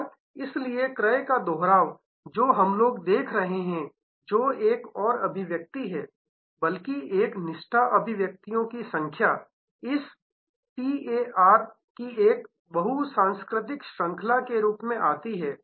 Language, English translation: Hindi, And therefore, the repeat purchase, which is, what we are looking at which is another manifestation or rather the number manifestation of a loyalty comes as a multiplicative chain of this A T A R